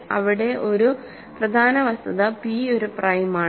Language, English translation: Malayalam, Here the important fact is that p is a prime